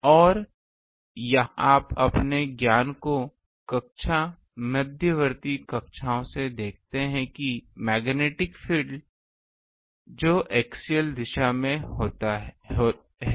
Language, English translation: Hindi, Now here you see that from your knowledge from class intermediate classes that the magnetic field that will be in the axial direction